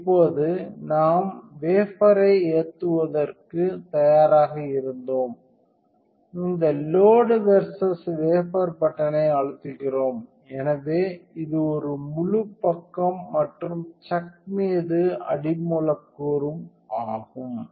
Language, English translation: Tamil, And now we were ready to load the wafer, we press this button versus load wafer, so it is a full side and substrate onto chuck